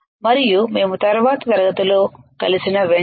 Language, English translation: Telugu, And as soon as we meet in the next class